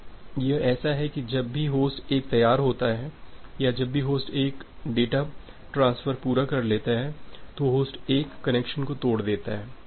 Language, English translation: Hindi, Now, it is just like that whenever host 1 is ready to or whenever host 1 is done transferring the data, host 1 breaks the connection